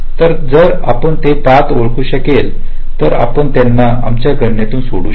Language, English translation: Marathi, so if you can identify those path, we can leave them out from our calculation